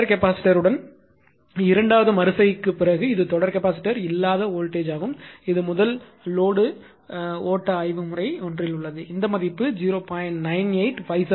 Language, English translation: Tamil, After second iteration with series capacitor this is the voltage without series capacitor that is at the very fast load flow studies method one this value rewriting it is 0